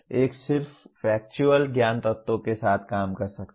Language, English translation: Hindi, One may be dealing with just factual knowledge elements